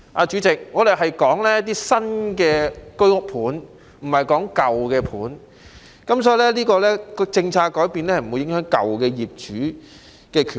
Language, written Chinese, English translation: Cantonese, 主席，我們所說的是新的居屋單位，不是舊的單位，所以這些政策改變並不會影響舊業主的權益。, President we are referring to the new HOS flats and not the old ones . So any changes in the policy will not affect the rights and interests of the old HOS flat owners